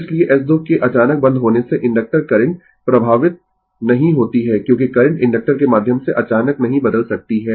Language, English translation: Hindi, So, sudden closing of S 2 does not affect the inductor current, because the current cannot change abruptly through the inductor